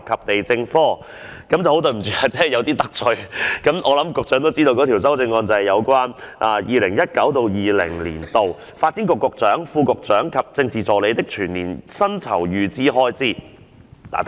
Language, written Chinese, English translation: Cantonese, 抱歉今次有所得罪，因我相信局長也知道，此項修正案是要削減 2019-2020 年度發展局局長、副局長及政治助理的全年薪酬預算開支。, I am sorry for offending the Secretary as he may be aware that this amendment seeks to reduce the estimated expenditure on the emoluments of the Secretary for Development the Under Secretary for Development and the Political Assistant for the whole year of 2019 - 2020